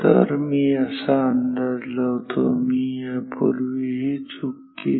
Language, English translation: Marathi, So, this is I guess, I made a mistake previously